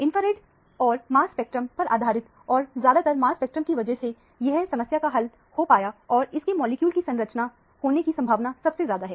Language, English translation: Hindi, Based on the infrared and mass spectrum – mainly because of the mass spectrum, the problem is solved and the structure of the molecule most likely is this one